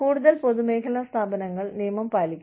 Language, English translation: Malayalam, And, public sector organizations, have to follow the law